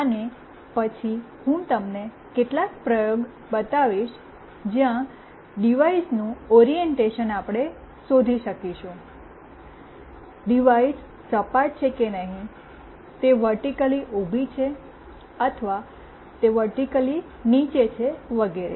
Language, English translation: Gujarati, And then I will show you some experiment where the orientation of the device we will find out, whether the device is lying flat or it is vertically up or it is vertically down etc